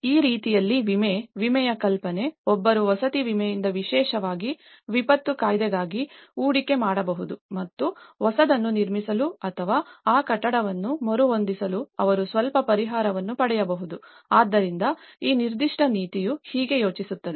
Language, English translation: Kannada, So, in that way the insurance; idea of insurance so, one can invest from the housing insurance especially, for the disaster act and so that they can receive some compensation to build a new one or to retrofit that building, so that is how this particular policy have thought about